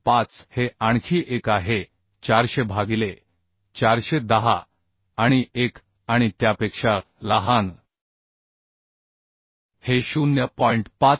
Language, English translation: Marathi, 25 this is another one 400 by 410 and 1 and smaller of this will become 0